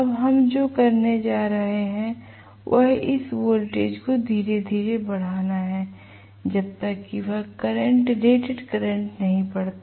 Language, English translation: Hindi, Now, what we are going to do is increase this voltage slowly until this current reads rated current